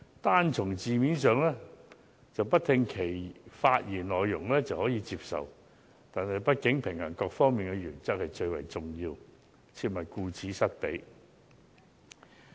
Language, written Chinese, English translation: Cantonese, 單從字面而言，即使不聆聽其發言內容也可以接受，但畢竟平衡各方面的原則是最為重要的一點，切忌顧此失彼。, Judging solely from a literal approach I would find the amendment acceptable without even listening to the speech delivered by Mr KWOK . Yet it would after all be most important to strike a balance among various principles and care should be taken not to neglect any one of them